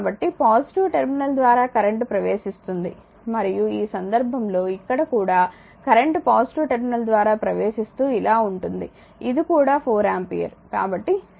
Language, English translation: Telugu, So, current entering through the positive terminal and in this case here also current entering through the positive terminal goes like this, goes like this is also 4 ampere